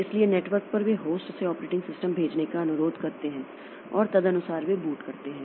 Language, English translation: Hindi, So, over the network they request the host to send the operating system and accordingly they boot